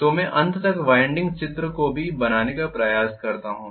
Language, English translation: Hindi, So let me try to draw the winding diagram also towards the end